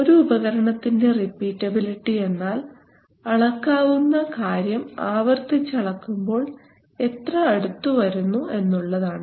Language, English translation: Malayalam, So repeatability of an instrument is the degree of closeness with which a measurable quantity may be repeatedly measured right, so we go to the next one